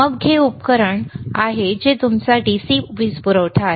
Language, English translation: Marathi, Then this is the equipment which is your DC power supply, all right